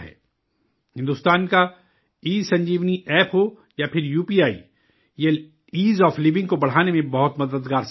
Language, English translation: Urdu, Be it India's ESanjeevaniApp or UPI, these have proved to be very helpful in raising the Ease of Living